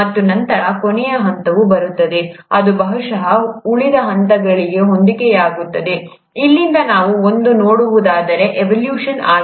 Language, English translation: Kannada, And then, comes the last phase which would probably correspond to the rest of the phase all the way from here till what we see present today, is the evolution